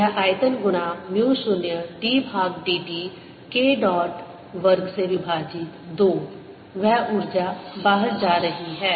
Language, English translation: Hindi, so this volume times mu, zero, d by d t of k dot, square by two, that is the energy flowing out